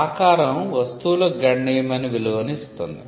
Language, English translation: Telugu, shape gives substantial value to the goods